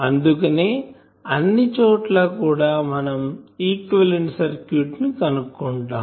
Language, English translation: Telugu, So, that is the reason we always try to find the equivalent circuit